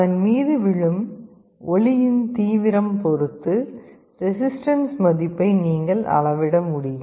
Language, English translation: Tamil, You can measure the resistance that will give you an idea about the intensity of light that is falling on it